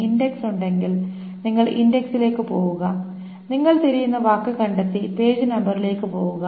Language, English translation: Malayalam, If the index is there, you essentially just go to the index, find the word that you are looking for, and just simply go to the page number